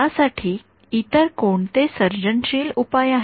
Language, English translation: Marathi, Any other any creative solutions from here